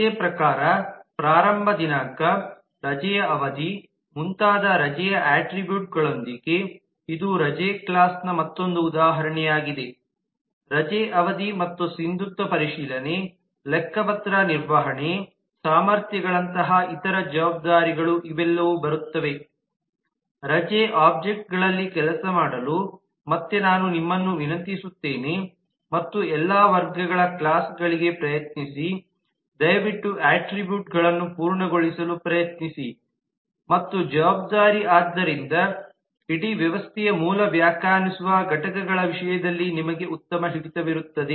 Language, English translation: Kannada, this is just another example of the leave class with the attributes of the leave like type of leave, start date, duration of leave and so on and other responsibilities like validity check, accounting, (()) (00:23:25) will come up and again i will request you to actually work out on the leave objects and try to for all the set of classes please try to complete the attributes and the responsibility so that you have a good hold in terms of the basic defining entities of the whole system